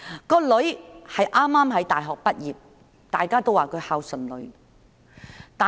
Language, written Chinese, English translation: Cantonese, 該名女兒剛從大學畢業，大家都說她孝順。, The young lady had just graduated from university and everyone said she was an obedient daughter